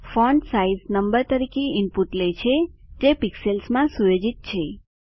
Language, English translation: Gujarati, Fontsize takes number as input, set in pixels